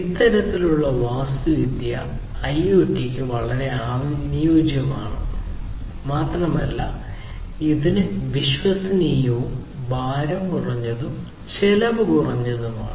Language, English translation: Malayalam, So, this kind of architecture is suitable for IoT and it has the advantage of being reliable, lightweight, and cost effective